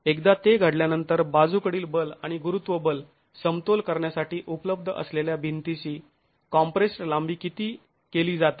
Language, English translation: Marathi, Once that has occurred, the compressed length of the wall that is available for equilibrium the lateral force and the gravity force is reduced